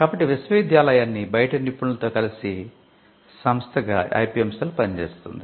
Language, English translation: Telugu, So, the IPM cell acts as the body that connects the university to the professionals outside